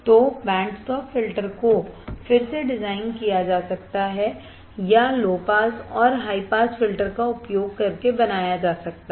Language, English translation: Hindi, So, band stop filters can be again design or can be formed by using low pass and high pass filter